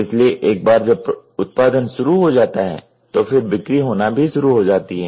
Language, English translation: Hindi, So, in once the production has started, then there will be a sale which is starts coming